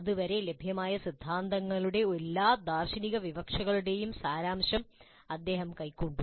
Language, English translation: Malayalam, He distilled all the philosophical implications of the theories available up to that time